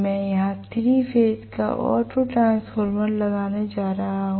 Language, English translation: Hindi, I am going to have a 3 phase auto transformer here